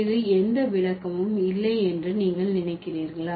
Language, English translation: Tamil, Do you think it does have any interpretation